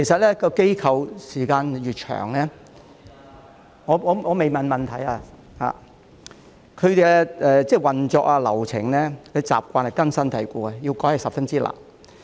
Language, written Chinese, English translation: Cantonese, 其實，機構運作時間越長......我還未提出我的補充質詢——其運作、流程和習慣越根深蒂固，要改變十分困難。, In fact the longer an organization operates I have yet to state my supplementary question―the more deep - rooted its operational processes and practices will be and it will be very difficult to make any changes